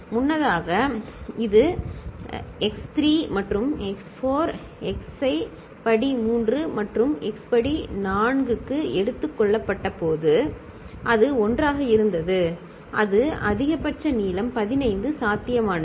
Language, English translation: Tamil, Earlier, when it was taken from x 3 and x 4, x to the power 3 and x to the power 4 and it was 1, it was maximal length that was 15 possible 0 0 0 0 0 was ruled out, ok